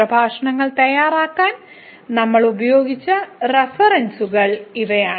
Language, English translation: Malayalam, So, these are references we have used to prepare these lectures